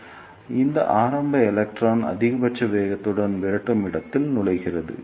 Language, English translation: Tamil, So, this early electron will enter the repeller space with maximum velocity